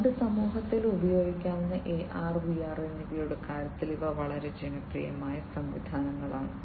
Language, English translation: Malayalam, These are quite popular systems in terms of AR and VR being used in our society